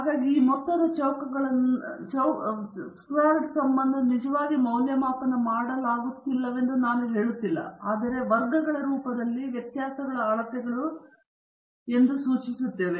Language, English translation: Kannada, So, I am not getting into how these sums of squares were actually evaluated, but I am just indicating that these are measures of variability in a squared form